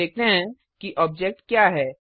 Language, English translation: Hindi, Now let us see what an object is